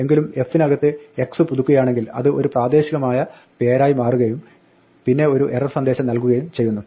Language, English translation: Malayalam, However, if x is updated in f then it becomes a local name and then it gives an error